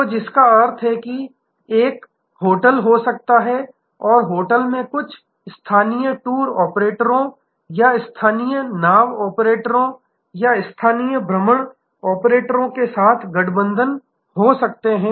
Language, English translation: Hindi, So, which means that there can be a hotel and the hotel can have alliance with some local tour operators or local boat operators or local excursion operators